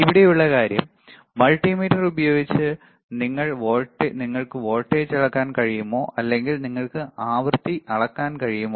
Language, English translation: Malayalam, The point here is that, using the multimeter can you measure voltage can you measure frequency the answer is, yes